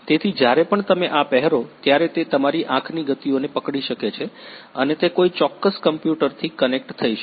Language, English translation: Gujarati, So, it can capture your eye movements whenever you will wear this and it will be connected; connected to a particular computer